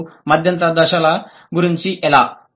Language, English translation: Telugu, And how about the intermediate stages